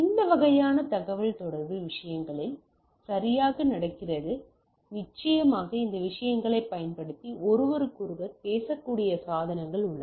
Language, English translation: Tamil, So, this sort of communication are happening into the things right definitely we have devices which can talk to each other using these things